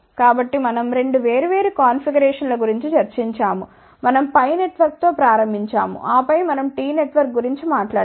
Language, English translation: Telugu, So, we discussed about 2 different configurations, we started with a pi network, and then we talked about T network